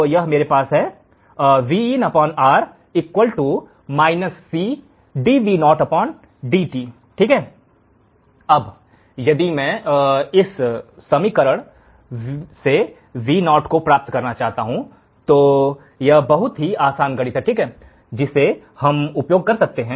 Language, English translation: Hindi, If I want to find Vo from this equation, this is very simple mathematics that we can use